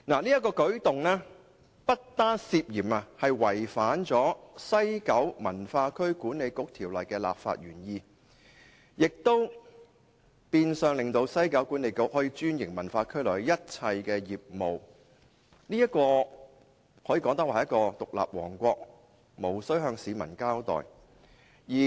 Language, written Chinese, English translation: Cantonese, 此舉不但涉嫌違反《西九文化區管理局條例》的立法原意，亦變相令西九管理局可專營文化區內的一切業務，儼如獨立王國，無須向市民交代。, This arrangement has aroused concern for it is suspected of violating the legislative intent of the West Kowloon Cultural District Authority Ordinance . Besides the arrangement will de facto allow WKCDA to have franchise over all businesses in WKCD making WKCDA an independent kingdom with no accountability to the public